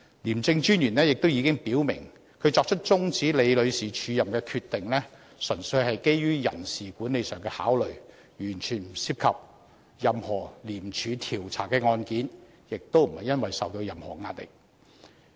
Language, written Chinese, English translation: Cantonese, 廉政專員亦已表明，他作出終止李女士署任的決定，"純粹基於人事管理上的考慮，完全不涉及廉署調查的案件，亦不是因為受到任何壓力"。, The ICAC Commissioner has also indicated that his decision to cancel Ms LIs acting appointment was based purely on personnel management considerations having nothing whatsoever to do with any cases under investigations by ICAC or any pressure brought to bear on him